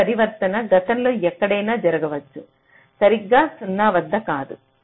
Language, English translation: Telugu, this transition can happen anywhere in the past, not exactly at zero